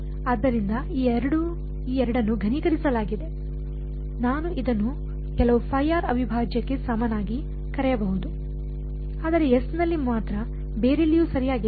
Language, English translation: Kannada, So, these two have been condensed into I can call it equal to some phi r prime, but only on S not anywhere else right